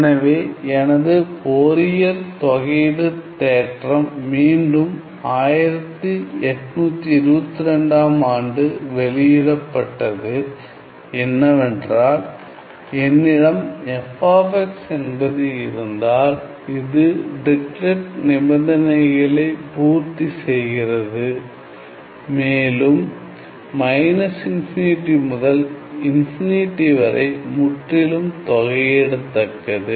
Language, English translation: Tamil, So, my Fourier integral theorem again published by for year n is 1822 paper is that if I have, if I have f of x, which satisfies my Dirichlet condition, and it is absolutely integrable on minus infinity to infinity